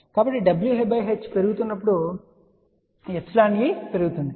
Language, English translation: Telugu, So, as w by h increases epsilon e increases